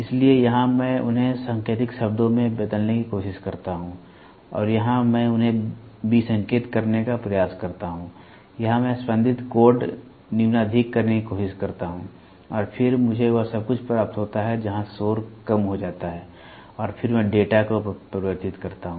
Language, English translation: Hindi, So, here I try to code them and here I try to decode them, here I try to do pulse code modulation and then I receive everything where the noise is reduced and then I convert the data